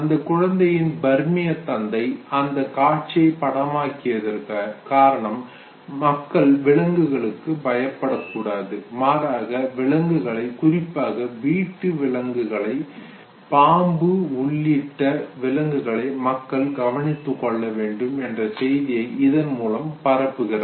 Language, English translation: Tamil, The Burmese father who recorded this was basically trying to propagate the message that people should not be scared of animals and they should take care of animals all animals including animals that homely have great degree of like snakes